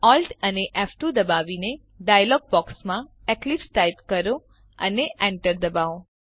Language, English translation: Gujarati, Press Alt ,F2 and in the dialog box type eclipse and hit enter